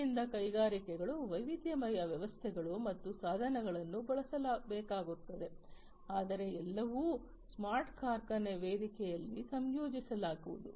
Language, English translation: Kannada, So, industries will need to use diverse systems and equipment but everything will be integrated on the smart factory platform